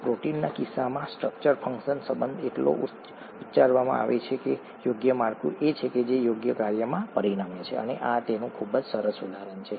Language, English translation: Gujarati, So the structure function relationship is so pronounced in the case of proteins, a proper structure is what results in proper function and this is a very nice example of that